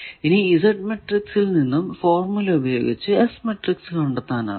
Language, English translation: Malayalam, So, this will be the Z matrix